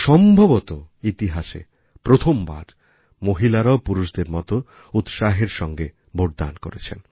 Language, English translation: Bengali, Perhaps, this is the first time ever, that women have enthusiastically voted, as much as men did